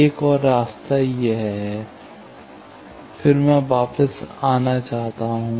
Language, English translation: Hindi, Another path is this one, this one, then I can come back